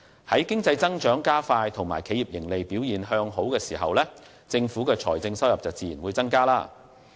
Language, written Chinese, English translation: Cantonese, 在經濟增長加快和企業盈利表現向好的情況下，政府的財政收入自然會增加。, With faster economic growth and better earnings performance of enterprises government revenue will naturally increase as well